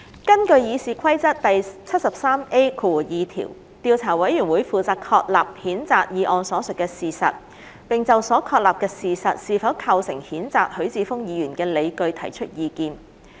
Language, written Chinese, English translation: Cantonese, 根據《議事規則》第 73A2 條，調查委員會負責確立譴責議案所述的事實，並就所確立的事實是否構成譴責許智峯議員的理據提出意見。, Under RoP 73A2 the Investigation Committee is responsible for establishing the facts stated in the censure motion and giving its views on whether or not the facts as established constitute grounds for the censure of Mr HUI Chi - fung